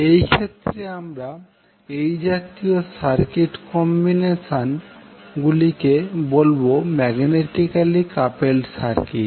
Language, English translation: Bengali, So in those cases when we see those kind of circuit combinations we call them as magnetically coupled circuit